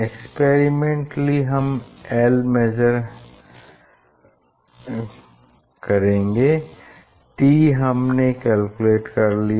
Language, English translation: Hindi, experimentally we have measured l corresponding t we are calculating